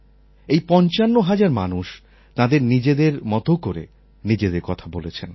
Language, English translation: Bengali, These 55,000 people expressed themselves in their own way